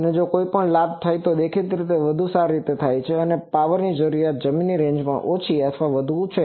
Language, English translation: Gujarati, And also if any gain is, obviously better gain means power requirement will be less or more range in the ground